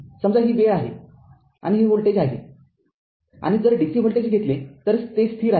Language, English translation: Marathi, Suppose, this is time right and this is voltage and if you take a dc voltage, it is a constant